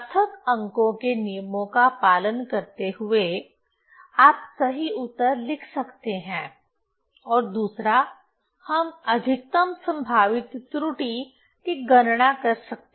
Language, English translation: Hindi, Following the rules of significant figures, one can write the correct answers and another way they calculating the maximum probable error